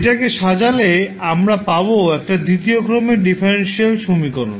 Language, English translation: Bengali, Now when we rearrange then we got the second order differential equation